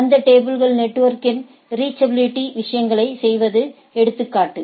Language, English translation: Tamil, So, the table is example of network reachability of the things right